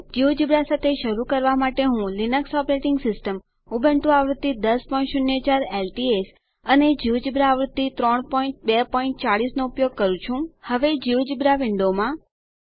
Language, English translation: Gujarati, To get started with geogebra I am using the new linux operating system Ubuntu version 10.04 LTS, and the geogebra version 3.2.40 Now to the geogebra window